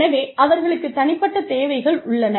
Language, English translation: Tamil, So, they have unique needs